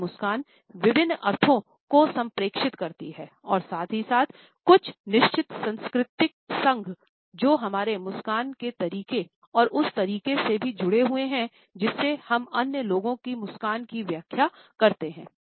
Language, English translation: Hindi, A smiles communicate different connotations and at the same time there are certain cultural associations which are also associated with the way we smile and the way in which we interpret the smile of other people